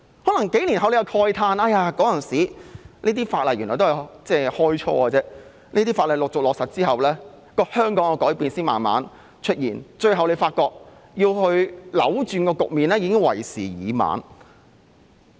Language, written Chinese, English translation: Cantonese, 可能數年後市民會慨嘆，這些法例原來只是開始，陸續落實後香港的改變才慢慢出現，最後發覺要去扭轉局面，已經為時已晚。, Perhaps in a few years people will lament that these pieces of legislation were merely a start and Hong Kong has changed slowly upon their implementation . It will be too late when they want to turn things around eventually